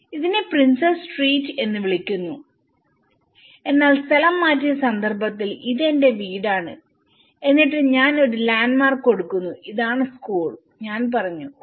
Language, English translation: Malayalam, So in that way, this is called a princess street but in relocated context, this is my house and then I said I give a landmark this is the school then I said oh